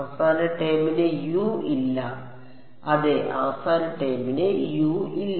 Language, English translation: Malayalam, The last term does not have a U yeah the last term does not have a U